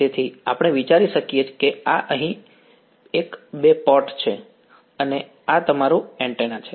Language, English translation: Gujarati, So, we can think of this is a two port over here and this is your antenna right